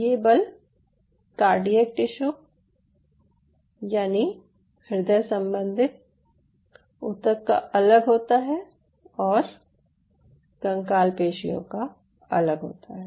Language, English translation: Hindi, now this force essentially determines: this force is different for cardiac tissue, this force is different for this skeletal muscle